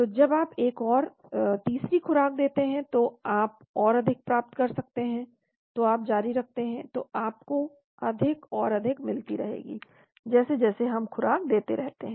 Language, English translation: Hindi, So when you give another 3rd dose you may get much higher, so you continuously you will keep getting higher and higher as we keep giving doses